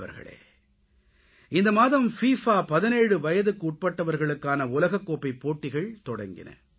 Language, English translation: Tamil, Friends, the FIFA Under17 World Cup was organized this month